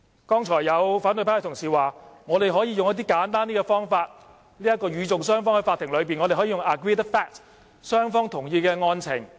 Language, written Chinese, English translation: Cantonese, 剛才有反對派同事說，我們可以使用較簡單的方法，與訟雙方在法庭內可以使用 agreed fact， 即雙方同意的案情。, Opposition Members said just now that we can take an easier route and simply deal with this on agreed facts in the Court which are facts related to the case agreed by both sides